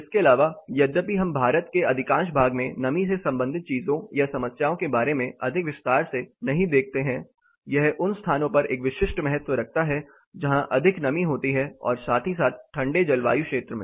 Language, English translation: Hindi, Apart from this though we do not look more in detail about the moisture related things or problems in most part of the India it is a specific importance in places where it is more moist as well as colder climates